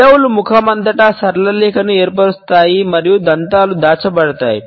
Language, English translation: Telugu, The lips are stretched that across the face to form a straight line and the teeth are concealed